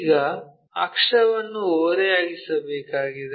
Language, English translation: Kannada, Now, axis has to be inclined